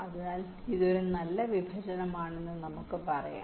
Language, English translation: Malayalam, so we can say that this is a good partitions